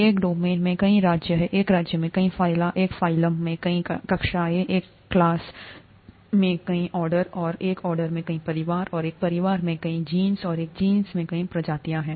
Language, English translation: Hindi, There are many kingdoms in a domain, there are many phyla in a kingdom, there are many classes in a phylum, there are many orders in a class, and there are many families in an order and there are many genuses in a family and many species in a genus